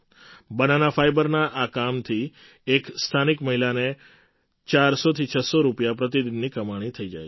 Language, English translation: Gujarati, Through this work of Banana fibre, a woman from the area earns four to six hundred rupees per day